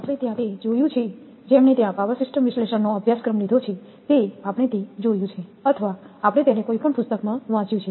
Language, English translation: Gujarati, So, there you have we have seen it, those who have taken the power system analysis course there we have seen it so and or we have read it in any book